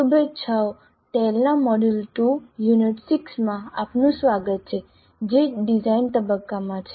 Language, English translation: Gujarati, Greetings, welcome to module 2, Unit 6 of tail, which is on design phase